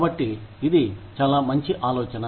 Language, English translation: Telugu, So, it is a very good idea